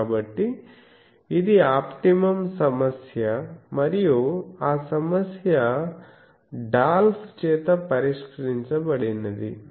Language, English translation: Telugu, So, that is an optimum problem and that problem was solved by Dolph